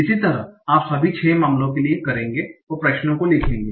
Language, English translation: Hindi, Similarly you will do for all the 6 cases and write down the constraints